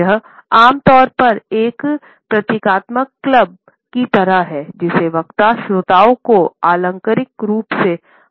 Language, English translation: Hindi, It is normally like a symbolic club, which the speaker is using to figuratively beat the listeners